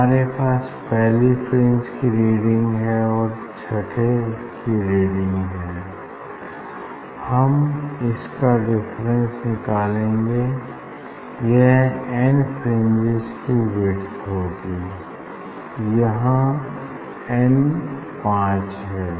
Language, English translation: Hindi, reading difference between this first and 6th one that is the width of n fringe in this case n is 5